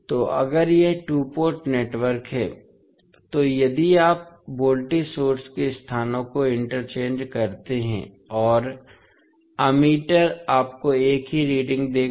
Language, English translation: Hindi, So, if it is reciprocal two port network, then if you interchange the locations of voltage source and the ammeter will give you same reading